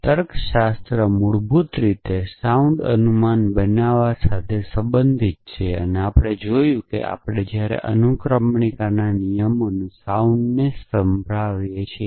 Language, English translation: Gujarati, Logic is basically concerned with making sound inferences and we have seen as to when can a rule of inference we sound